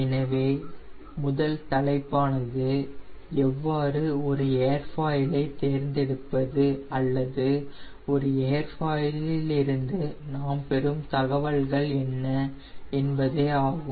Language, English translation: Tamil, so first topic will be how to select an airfoil or what are the information we will get from a airfoil